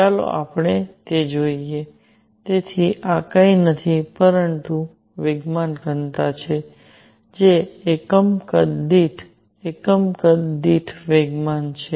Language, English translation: Gujarati, Let us see that; so, this is nothing, but momentum density that is momentum per unit volume per unit volume